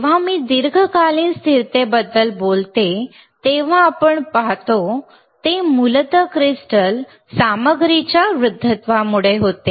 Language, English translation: Marathi, When I talk about long term stability, then what we see is, basically due to aging of crystal material